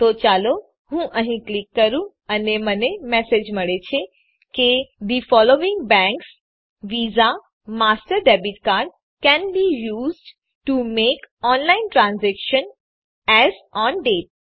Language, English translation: Gujarati, So let me click here and i get the the message that the following banks visa / master debit cards can be used to make online transaction as on date